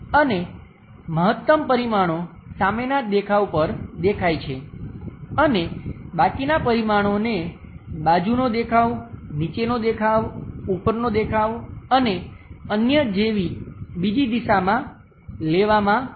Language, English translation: Gujarati, And maximum dimensions supposed to be visible on the front view and remaining dimensions will be pushed on to other directions like side views, bottom views, top views and so on